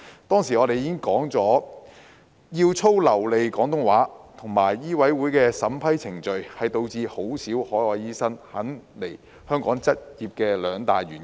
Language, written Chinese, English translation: Cantonese, 當時我們已經指出，要操流利廣東話的要求和香港醫務委員會的審批程序，是導致很少海外醫生肯來港執業的兩大原因。, As we have pointed out back then very few overseas trained doctors OTDs came to practise in Hong Kong for two main reasons namely the requirement for OTDs to speak fluent Cantonese and the vetting and approval procedure of the Medical Council of Hong Kong MCHK